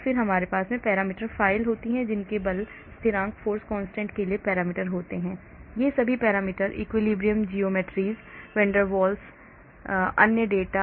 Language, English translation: Hindi, then we have the parameter files which contain parameters for force constants, all these parameter, equilibrium geometries, van der Waals radii, other data